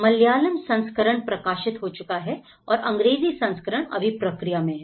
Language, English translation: Hindi, So, the Malayalam version is already printed and the English version is on the process